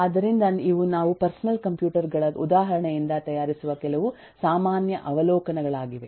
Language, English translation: Kannada, so these are some of the generic observations that eh we are making from our example of personal computers